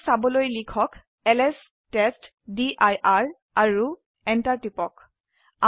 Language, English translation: Assamese, To see them type ls testdir and press enter